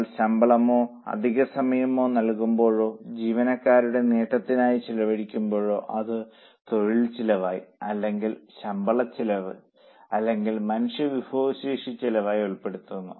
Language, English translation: Malayalam, When we pay salaries or over time or incur on perquisites of the employees, it will be included as a labour cost or as a salary cost or human resource cost